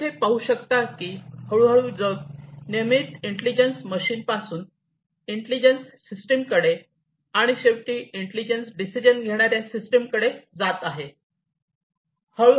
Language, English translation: Marathi, So, and gradually as you can see over here we are moving to the world from regular intelligent machines to intelligent systems to ultimately intelligent decision making systems